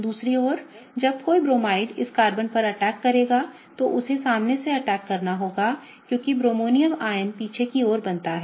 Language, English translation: Hindi, On the other hand when a Bromide will attack on this Carbon, it has to attack from the front because the bromonium ion is formed at the back